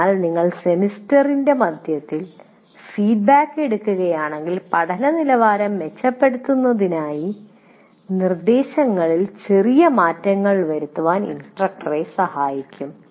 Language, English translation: Malayalam, So if you take the feedback in the middle of the semester, it will allow the instructor to make minor adjustments to instruction to improve the quality of learning